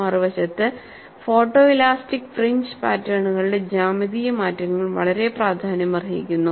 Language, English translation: Malayalam, On the other hand, the geometrical changes of the photo elastic fringe patterns are very significant